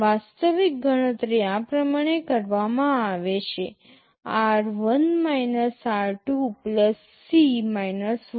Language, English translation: Gujarati, The actual calculation is done like this: r1 r 2 + C 1